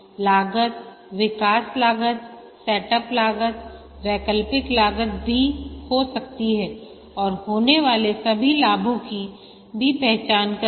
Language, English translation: Hindi, The cost can be development costs, the set up cost, operational cost and also identify all the benefits that would accrue